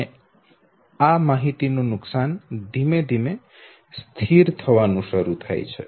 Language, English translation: Gujarati, And this loss gradually start sitting stabilized, okay